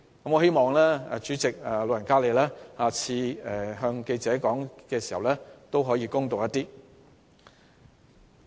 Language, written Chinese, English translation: Cantonese, 我希望主席日後向記者發表意見時可以公道一點。, I hope the President can make fair comment when talking to the press in future